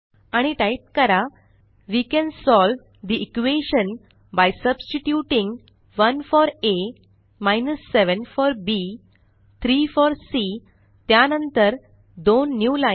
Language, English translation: Marathi, And type: We can solve the equation by substituting 1 for a, 7 for b, 3 for c followed by two newlines